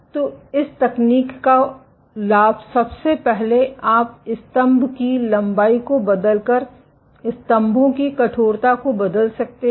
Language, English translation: Hindi, So, the advantage of this technique is first of all you can tune the stiffness of the pillars, by changing the pillar length